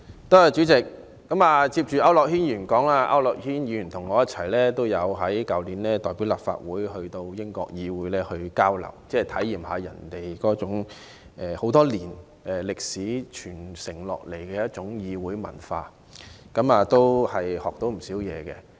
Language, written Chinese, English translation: Cantonese, 代理主席，我緊接區諾軒議員發言，他和我去年曾代表立法會一同前往英國議會交流，體驗當地悠久歷史傳承下來的議會文化，獲益良多。, Deputy President it is my turn to speak right after Mr AU Nok - hin . Last year he and I as members of the delegation of the Legislative Council went on a fruitful exchange visit to the British Parliament to experience its long parliamentary culture passed down through history